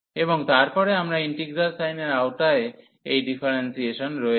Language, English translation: Bengali, And then we have this differentiation under integral sign